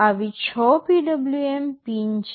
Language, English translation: Gujarati, There are six such PWM pins